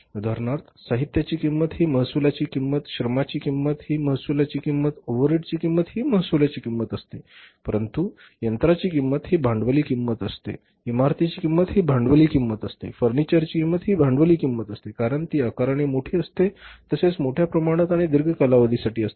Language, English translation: Marathi, For example revenue cost, the cost of material is the revenue cost, cost of the labor is the revenue cost, cost of the overheads is the revenue cost but cost of the plant is the capital cost, cost of the building is the capital cost, cost of the furniture is the capital cost because it is a huge in size, large in size, large in amount and for the longer duration